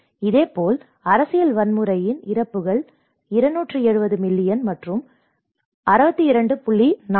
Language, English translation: Tamil, Similarly, you can see the deaths of the political violence is 270 millions and 62